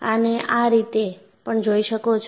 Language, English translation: Gujarati, You can also look at it like this